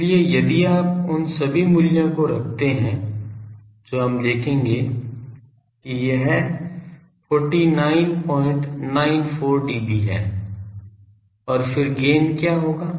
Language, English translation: Hindi, So, if you put all those values we will see it is comes to be 49